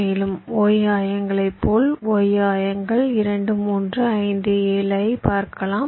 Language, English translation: Tamil, and if you look at the y coordinates, similarly, look at the y coordinates: two, three, five, seven